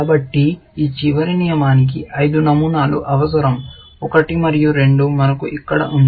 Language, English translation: Telugu, So, this last rule needs five patterns; one and two, which we have here